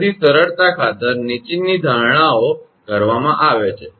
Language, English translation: Gujarati, So, for the sake of simplicity the following assumptions are made